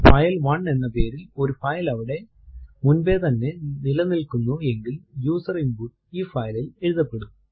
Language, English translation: Malayalam, If a file by name say file1 already exist then the user input will be overwritten on this file